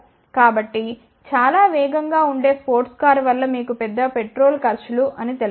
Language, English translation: Telugu, So, very fast sports car would actually have you know larger petrol expenses